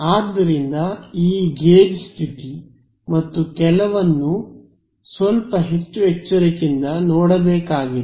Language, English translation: Kannada, And so, this gauge condition and all has to be seen little bit more carefully